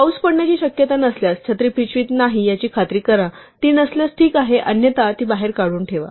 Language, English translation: Marathi, If it is not likely to rain, ensure the umbrella is not in the bag, if it is not there it is fine otherwise, take it out